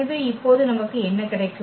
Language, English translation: Tamil, So, what do we get now